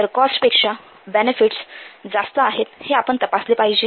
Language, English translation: Marathi, then check that benefits are greater than cost